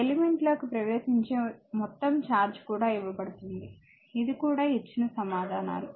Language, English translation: Telugu, This is also given the total charge entering the element this is also answers given